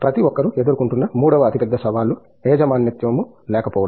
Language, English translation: Telugu, Third biggest challenge everyone faces is lack of ownership